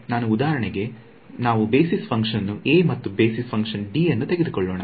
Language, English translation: Kannada, So, if I for example, just let us just take basis function a and basis function d